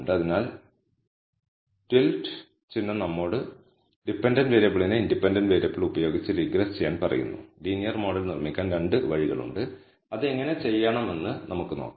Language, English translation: Malayalam, So, the tillet sign tells us regress the dependent variable with the independent variable So, there are 2 ways to build the linear model, let us see how to do that